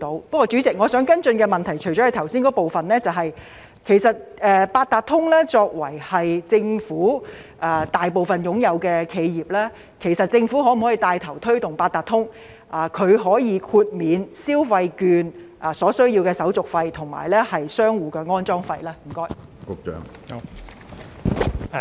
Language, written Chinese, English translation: Cantonese, 不過，主席，我想跟進的問題是，除了剛才提到的部分外，政府作為八達通的最大股東，可否牽頭推動八達通豁免電子消費券交易所需的手續費及商戶安裝有關設施的費用呢？, Nevertheless President what I wish to follow up now is that in addition to the aforementioned part as the major shareholder of the Octopus Cards Limited Octopus will the Government take the lead in urging Octopus to waive the administrative fees charged for transactions associated with the electronic consumption vouchers and the costs to be borne by merchants for the installation of the relevant payment devices?